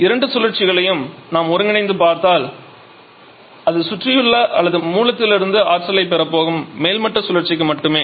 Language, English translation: Tamil, So, if we see the two cycles in combination it is only the topping cycle which is going to receive energy from the surrounding or from the source